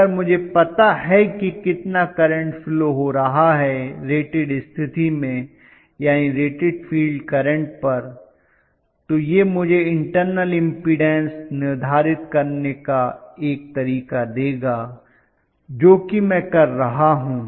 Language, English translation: Hindi, So if I know what is the current that is flowing under rated condition that will actually you know rated field condition that will give me a way to determine, what is internal impedance of the machine, that is what I am precisely doing right